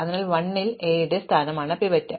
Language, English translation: Malayalam, So, A of l is the pivot